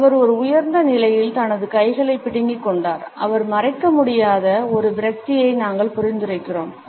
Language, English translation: Tamil, He has clenched his hands in an elevated position, we suggest a level of frustration which he is unable to hide